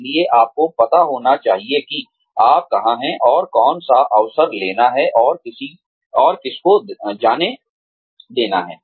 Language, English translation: Hindi, So, you should know, where you are headed, and which opportunity to take, and which to let go of